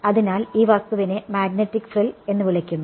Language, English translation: Malayalam, So, this thing is called a magnetic frill right